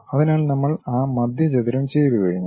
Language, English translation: Malayalam, So, we are done with that center rectangle also